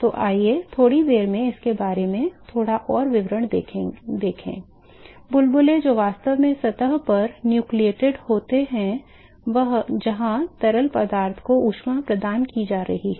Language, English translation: Hindi, So, let us see little more details about this in a short while so, the bubbles which are actually nucleated on the surface where the heat is being provided to the fluid